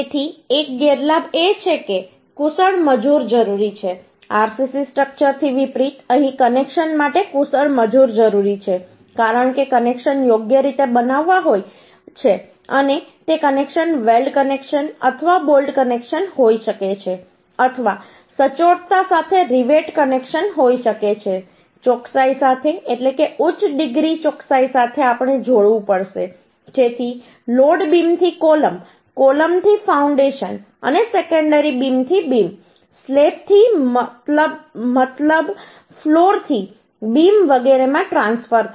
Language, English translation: Gujarati, unlike RCC structure, here skilled labor is required for connections because connections has to be made properly and that connections uhh may be weld connection or bolt connection or may be rivet connection uhh with the accuracy means, with a higher degree of accuracy we have to joint so that the load is transferred from beam to column, column to foundation, and also from secondary beam to beam, from uhh slab to means, floor to beam, etcetera